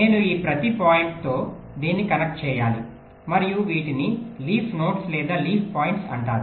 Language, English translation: Telugu, ok, i have to connect this to each of these points and these are called leaf net, leaf nodes or leaf points